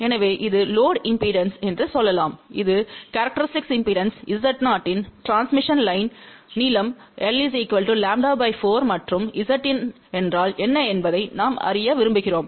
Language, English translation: Tamil, So, let us say this is the load impedance , that is a transmission line of characteristic impedance Z 0 , length is lambda by 4 and this is where we want to know what is Z input